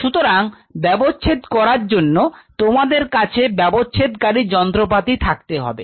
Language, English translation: Bengali, So, for dissection you will be needing dissecting instruments